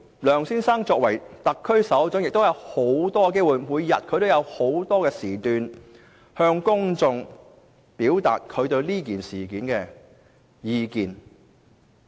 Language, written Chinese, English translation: Cantonese, 梁先生作為特區首長，亦有眾多機會，每日在不同場合向公眾表達他對此事的意見。, As the head of the SAR Mr LEUNG has numerous opportunities to express his views publicly on this incident on various occasions every day